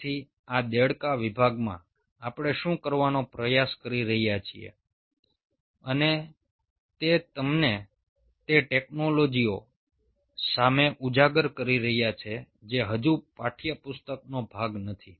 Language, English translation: Gujarati, ok, so in this frog segment, what we are trying to do and is kind of exposing you to those technologies which are still not part of textbook